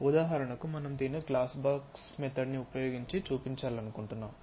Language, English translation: Telugu, For example, we would like to show it using glass box method the layout